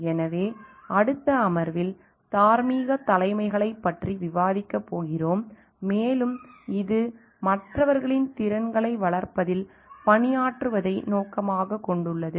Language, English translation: Tamil, So, in the next session we are going to discuss about moral leadership, and which like may be aims at serving in developing skill sets of others